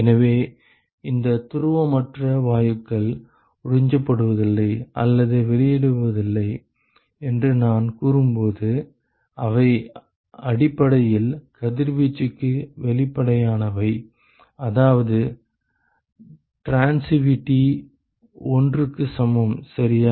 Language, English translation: Tamil, So, when I say these non polar gases do not absorb or emit, they are essentially transparent to radiation, which means that the transitivity is equal to 1 ok